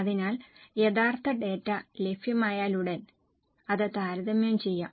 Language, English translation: Malayalam, So, as soon as the actual data is available, it can be compared